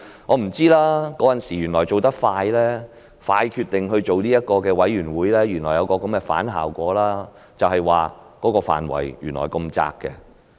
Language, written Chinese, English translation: Cantonese, 我也不知道當時迅速決定成立調查委員會原來會有這樣的反效果，就是範圍原來過於狹窄。, Never has it occurred to me that the decision promptly made on establishing the Commission back then would produce the counter - effect of the scope of investigation being too narrow